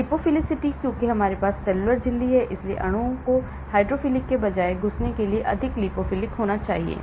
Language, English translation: Hindi, Lipophlicity, because we have cellular membrane, so molecules have to be more lipophilic for it to penetrate rather than hydrophilic